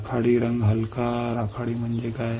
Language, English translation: Marathi, Grey colour light grey what does that mean